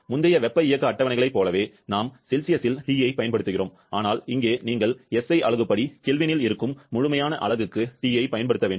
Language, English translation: Tamil, Like in the previous thermodynamic tables, we are using Tin Celsius but here you have to use T in absolute unit that is in kelvin as per as SI unit